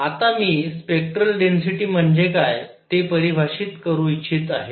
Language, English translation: Marathi, What I want to define now is something called spectral density